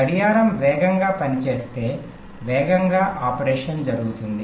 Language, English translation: Telugu, faster the clock, faster would be the operation